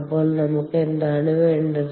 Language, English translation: Malayalam, so what do we need